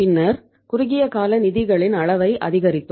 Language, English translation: Tamil, Then we increased the extent of the short term finances